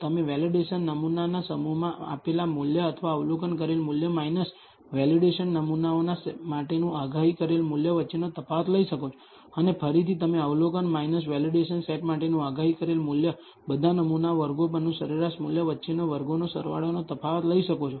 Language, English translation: Gujarati, You can take the difference between the measured value or observed value in the validation sample set minus the predicted value for the validation samples and again you can take the sum square difference between the observation minus the predicted value for the validation set squared over all samples on the averaged average value